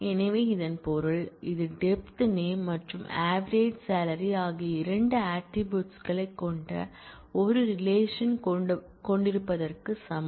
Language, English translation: Tamil, So which means that; this is equivalent to having a relation which has two attributes depth name and avg salary